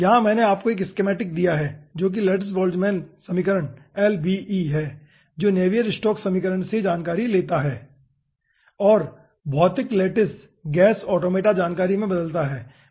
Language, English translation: Hindi, here i have given you 1 schematic, which is lattice boltzmann equation lbe, which takes information from navier stokes equation and boils down into physical lattice gas automata information